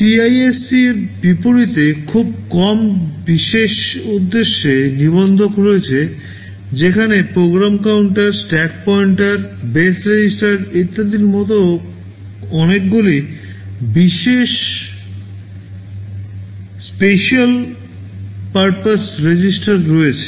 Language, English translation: Bengali, There are very few special purpose registers unlike CISC Architectures where there are lot of special purpose registers like program counters, stack pointer, base registers, and so on and so forth right